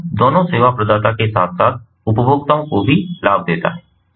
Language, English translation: Hindi, so it benefits both, both the service provider as well as the consumers